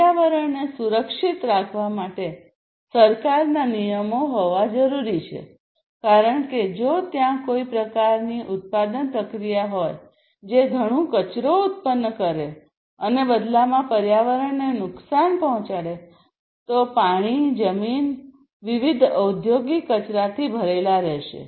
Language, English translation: Gujarati, So, government regulations should be there to protect the environment, because you know if there is some kind of production process, which produces lot of waste and in turn harms the environment the water, the land etc are full of different industrial wastes then that is not good